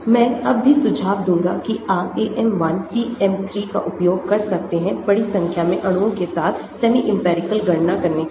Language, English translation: Hindi, I would still recommend that you can use AM 1, PM 3 reasonably well for performing semi empirical calculations with the large number of molecules